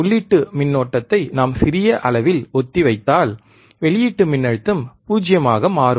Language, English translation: Tamil, If we dieffer the input current by small amount, the output voltage will become 0